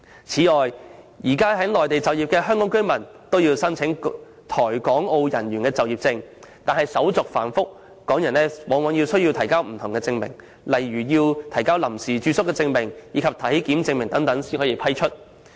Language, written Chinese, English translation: Cantonese, 此外，現時在內地就業的香港居民均須申請《台港澳人員就業證》，但申請手續繁複，往往需要提交不同證明如臨時住宿證明、體檢證明等才可獲批。, Moreover all Hong Kong residents working on the Mainland are now required to apply for an Employment Certificate for Hong Kong Macao and Taiwan Residents but the application procedures are complicated and in order to be issued with an Employment Certificate applicants are often asked to produce all sorts of proofs such as a temporary residence certificate and health certificate